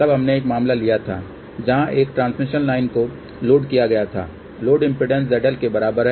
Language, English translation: Hindi, Then we have taken a case where a transmission line is loaded with the load impedance which is equal to Z L